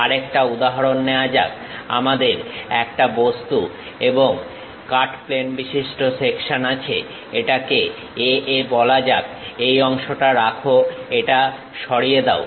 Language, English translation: Bengali, Let us take one more example, here we have an object and cut plane section let us call A A; retain this portion, remove this part